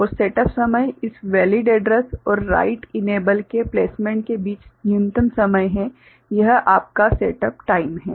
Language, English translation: Hindi, And the setup time is minimum time between placement of this valid address and the write enable so, this is your set up time right